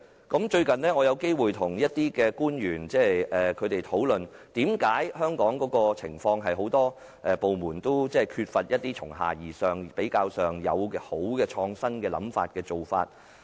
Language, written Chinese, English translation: Cantonese, 近日，我有機會與某些官員討論香港一些情況，就是為何政府很多部門都缺乏由下而上的創新想法和做法。, Recently I have had an opportunity to discuss with certain officials a situation in Hong Kong that is why many government departments lack a bottom - up creative mindset and practice